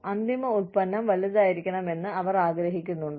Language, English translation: Malayalam, Do they want, the end product to be big